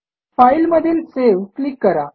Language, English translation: Marathi, Click on File and Save